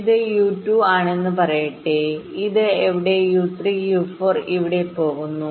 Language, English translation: Malayalam, let say this: one is u two, this goes to u three here and u four here